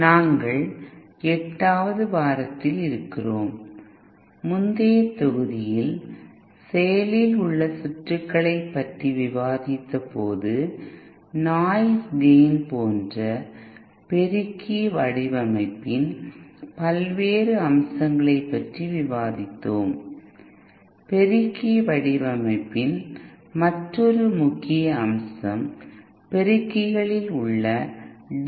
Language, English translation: Tamil, We are in week eight and in the previous module when we were discussing active circuits we have discussed the various aspects of amplifier design like gain noise then matching yet another important aspect of amplifier design is the DC bias in amplifiers